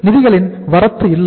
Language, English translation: Tamil, There is no inflow